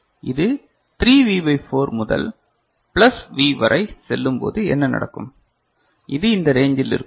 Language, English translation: Tamil, And what happens when it goes to 3V by 4 to plus V this in this range right